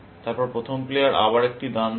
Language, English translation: Bengali, Then, the first player makes a move, again